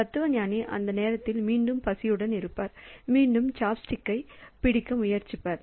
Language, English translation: Tamil, So, the philosopher will feel hungry again at that time again try to grab the chop stick